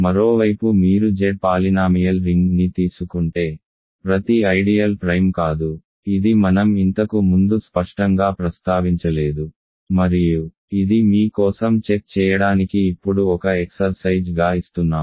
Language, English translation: Telugu, On the other hand if you take polynomial ring over Z here not every ideal is principal, this I did not ever mention explicitly before and this is an exercise now to check for you